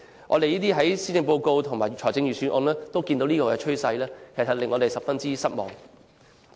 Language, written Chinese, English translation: Cantonese, 我們在施政報告及財政預算案見到這個趨勢，感到十分失望。, We are very disappointed about such a tendency in the Policy Address and the Budget